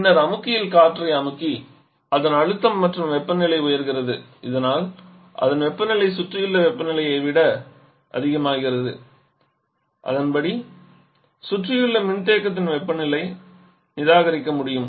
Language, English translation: Tamil, And subsequently compress the air in the compressor so that its pressure and subsequently the temperature level rises so that its temperature becomes higher than the surrounding temperature and accordingly we can reject the heat to the surrounding the condenser